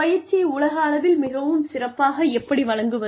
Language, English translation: Tamil, How can training be effectively delivered worldwide